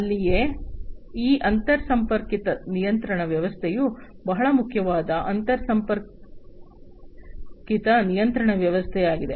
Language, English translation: Kannada, And that is where this interconnected control system is also very important interconnected control system